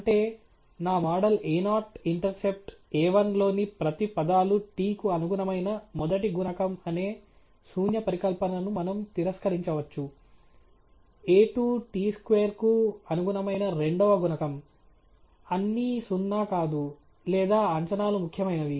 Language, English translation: Telugu, That is, we can reject the null hypothesis that each of the terms in my model a 0 intercept, a 1 the first coefficient corresponding to t; a 2 the second coefficient corresponding t square, are all not zero or the estimates themselves are significant